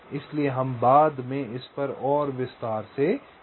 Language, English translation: Hindi, so we shall be discussing this in more detail later